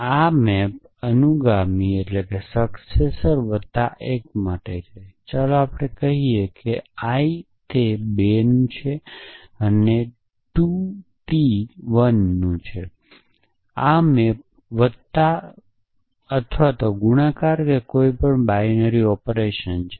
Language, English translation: Gujarati, This maps to successor plus 1, this let us say this is of I i t 2 and this is of ii t 1, this maps to plus or multiplication it does not matter some binary operation on this